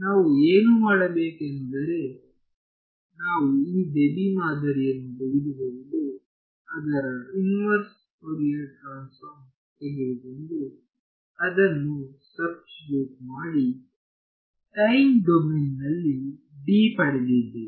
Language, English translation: Kannada, So, what we did was we took this Debye model we took its inverse Fourier transform and substituted it into the relation for D to obtain D in the time domain